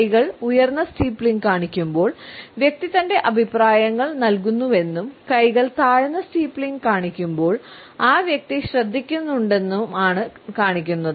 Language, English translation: Malayalam, When the hands are steepling up it shows that the person is giving his opinions and when the hands are steepling down, it means that the person is listening